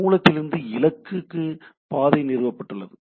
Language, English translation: Tamil, So, a path is established from source to destination